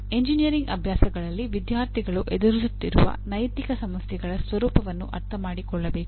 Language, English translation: Kannada, Students should understand the nature of ethical problems they face in engineering practices